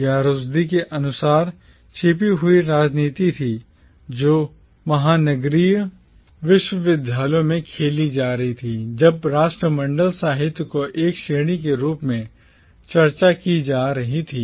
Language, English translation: Hindi, This was according to Rushdie the hidden politics that was being played out in the metropolitan universities when the Commonwealth literature was being discussed as a category